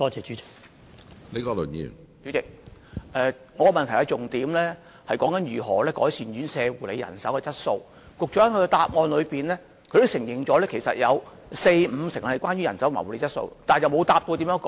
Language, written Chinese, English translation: Cantonese, 主席，我的主體質詢重點是如何改善院舍護理人手的質素，局長的主體答覆也承認有四五成投訴是有關人手和護理質素，卻沒有回答如何改善。, President the focus of my main question is how to improve the quality of care staff in the care homes . While the Secretary also admitted in the main reply that 40 % to 50 % of the complaints were related to manpower and health care quality he did not answer how to improve the situation